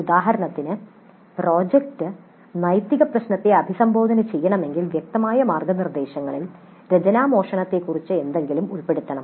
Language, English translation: Malayalam, For example, if the project is supposed to address the issue of ethics, then explicitly the guidelines must include something about plagiarism